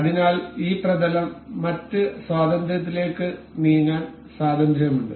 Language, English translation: Malayalam, So, this plane is free to move in other degrees of freedom